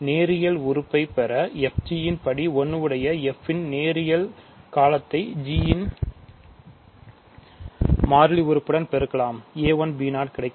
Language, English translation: Tamil, To get the linear term, degree 1 term of f g you can multiply the linear term of f with constant term of g that will give me a 1 b 0